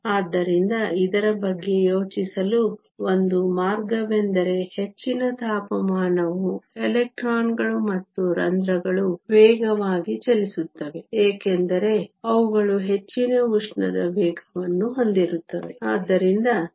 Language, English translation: Kannada, So, one way to think about this is higher the temperature faster the electrons and holes are moving, because they have higher thermal velocities